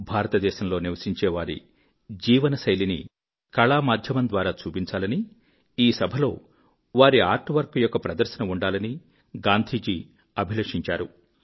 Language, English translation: Telugu, It was Gandhiji's wish that the lifestyle of the people of India be depicted through the medium of art and this artwork may be exhibited during the session